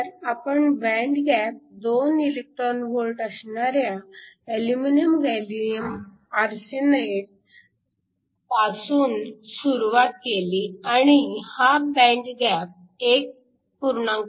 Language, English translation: Marathi, So, will start with aluminum gallium arsenide of band gap 2 electron volts and we have gallium arsenide band gap 1